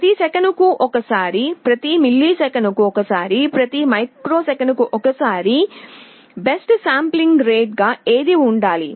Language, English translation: Telugu, Should we sample once every second, once every millisecond, once every microsecond, what should be the best sampling rate